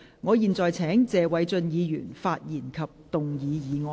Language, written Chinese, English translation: Cantonese, 我現在請謝偉俊議員發言及動議議案。, I now call upon Mr Paul TSE to speak and move the motion